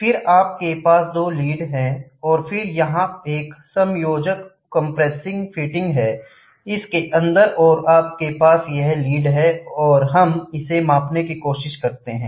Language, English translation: Hindi, Then, you have two leads which go and then here is an adjustable compressing fitting, and inside this, you have this lead which goes and we try to measure it